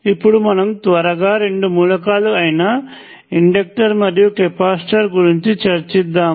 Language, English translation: Telugu, Let us quickly look at the other two elements the inductor and the capacitor